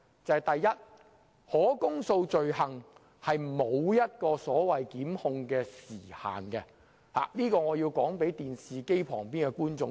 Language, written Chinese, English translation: Cantonese, 首先，可公訴罪行並無所謂檢控時限，這一點我要告訴電視機旁的觀眾。, First I have to tell the audience in front of the television that there is no so - called time limit for prosecution for indictable offences